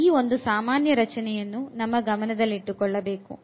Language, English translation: Kannada, So, this structure we must keep in mind